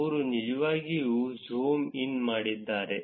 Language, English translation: Kannada, They actually zoomed in